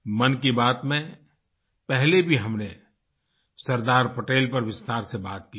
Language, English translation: Hindi, Earlier too, we have talked in detail on Sardar Patel in Mann Ki Baat